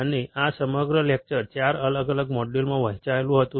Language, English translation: Gujarati, And this whole entire lecture was divided into 4 different modules